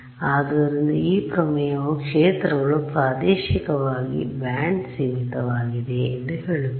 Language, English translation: Kannada, So, this theorem is telling you that the fields are spatially band limited